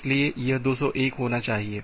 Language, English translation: Hindi, So, this should be 201